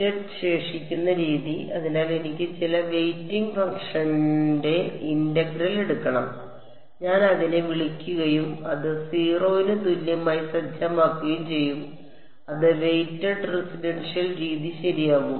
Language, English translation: Malayalam, Weighted residual method; so, I have to take the integral of some weighting function I will call it W m multiplied by R of x integrated over dx and set it equal to 0 that becomes the weighted residual method ok